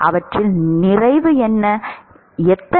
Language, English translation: Tamil, A lot of them, how many